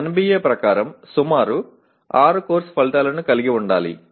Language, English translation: Telugu, As per NBA they should have about 6 course outcomes